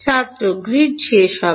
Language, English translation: Bengali, The grid will end by